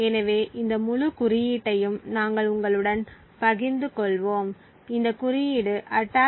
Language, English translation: Tamil, So we will be sharing this entire code with you, this code comprises of the attack